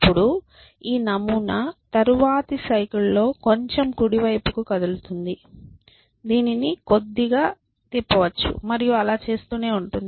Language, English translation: Telugu, Then this pattern essentially in the next cycle we will move little bit to the right may be it will rotate by a little bit and it will keep doing that